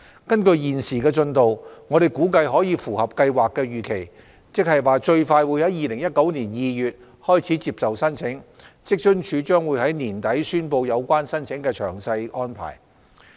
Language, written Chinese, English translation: Cantonese, 根據現時的進度，我們估計可以符合計劃的預期，最快於2019年2月開始接受申請，職津處將於年底宣布有關申請的詳細安排。, Judging from the current progress we expect that the Scheme will be open for applications from February 2019 at the earliest which is in line with the planned schedule . WFAO will announce the details of the application arrangement at the end of this year